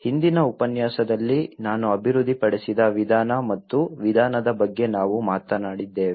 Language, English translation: Kannada, In the previous lecture, we talked about the method and approach which I have developed